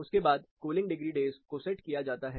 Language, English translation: Hindi, Then the cooling degree days is set